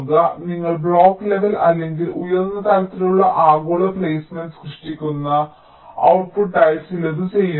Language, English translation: Malayalam, so you are doing some as output, you are generating block level or higher level, global placement